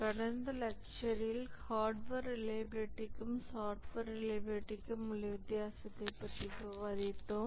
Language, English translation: Tamil, In the last lecture we are discussing the difference between hardware reliability and software reliability